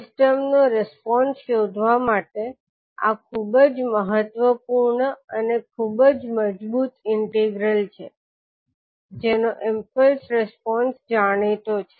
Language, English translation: Gujarati, So this is very important and very strong integral to find out the response of a system, the impulse response of which is known